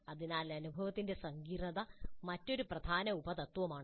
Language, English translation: Malayalam, So the complexity of the experience is another important sub principle